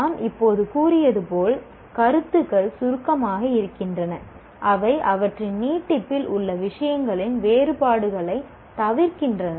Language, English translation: Tamil, As we just now stated, concepts are abstract in that they omit the differences of the things in their extension